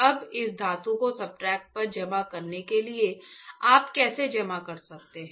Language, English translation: Hindi, Now for depositing this metal on the substrate, how can you deposit